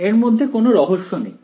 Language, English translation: Bengali, There is no great mystery to it